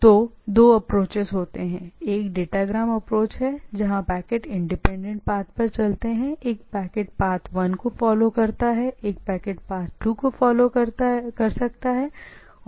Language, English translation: Hindi, So, there can there are also can two approaches; one is what we say datagram approach where packets moves on independent things, one packet may follow say route 1, one packet may follow the route 2 and so on so forth